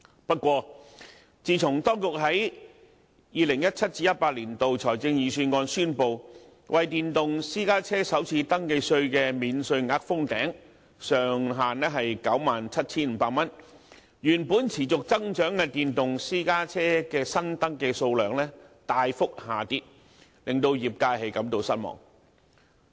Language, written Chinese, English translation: Cantonese, 不過，自從當局在 2017-2018 年度財政預算案宣布為電動私家車首次登記稅的免稅額封頂，設定上限於 97,500 元，原本持續增長的電動私家車的新登記數量大幅下跌，令業界感到失望。, However since the Government announced in the 2017 - 2018 Budget its decision of imposing a ceiling to cap the first registration tax concessions for electric private cars at 97,500 the number of newly registered electric private cars which used to grow persistently has dropped significantly